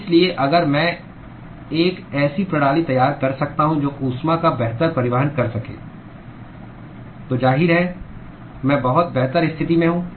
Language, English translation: Hindi, So, if I can design a system which can transport heat better, then obviously, I am much better placed